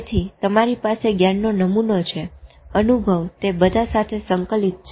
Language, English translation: Gujarati, So, you have a knowledge template, experience comes, it's all integrated into that